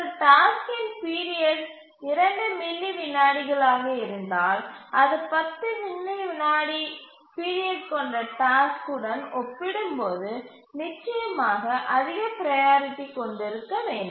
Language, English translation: Tamil, If a task the period is 2 milliseconds, it should definitely have higher priority compared to a task whose period is 10 milliseconds